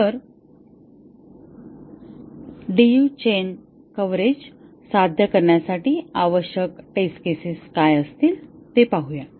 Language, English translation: Marathi, So, let us look at what will be the test cases required to achieve DU chain coverage